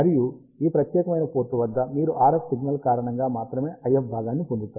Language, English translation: Telugu, And at this particular port, you will get the IF component only because of the RF signal